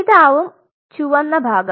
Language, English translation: Malayalam, So, this is the red part